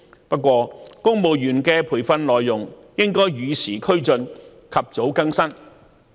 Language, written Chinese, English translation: Cantonese, 不過，公務員的培訓內容應該與時俱進，及早更新。, However the Government should keep the training content up - to - date or renew it as early as applicable